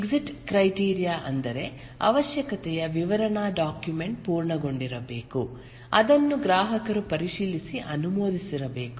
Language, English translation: Kannada, The exit criteria is that the requirement specification document must have been completed, it must have been reviewed and approved by the customer